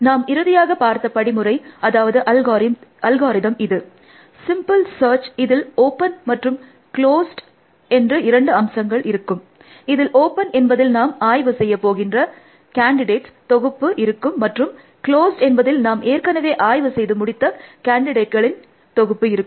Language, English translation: Tamil, So, the last algorithm that we saw was this, simple search to in which we had two sets open and close, open contains a set of candidates set we want to inspect, and closed contains, the set of candidate that we have already inspected